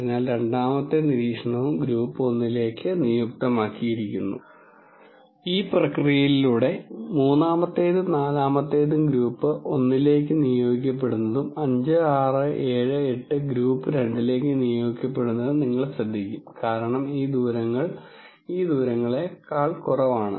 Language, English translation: Malayalam, So, the second observation is also assigned to group 1 and you will notice through this process a third and fourth will be assigned to group 1 and 5 6 7 8 will be assigned to group 2 because these distances are less than these distances